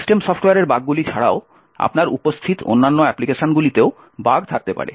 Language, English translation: Bengali, In addition to the bugs in the system software, you could also have bugs in other applications that are present